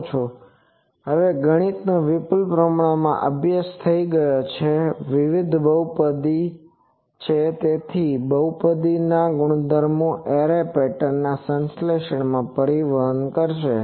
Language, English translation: Gujarati, So, now the mathematics has reach richly study this is various polynomials so, that polynomials properties will transport to the synthesis of the array patterns